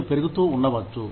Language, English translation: Telugu, You may be growing